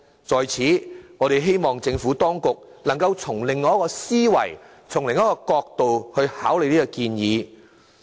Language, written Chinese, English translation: Cantonese, 在此，我們希望政府當局能從另一角度考慮這個建議。, Here we hope the Administration can consider this suggestion from another angle